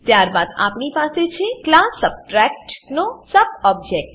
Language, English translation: Gujarati, Then we have subt object of class Subtract